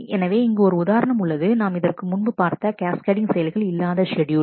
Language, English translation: Tamil, So, here is an example which we had just seen which is not a cascadable schedule